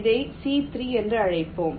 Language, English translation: Tamil, lets call it c three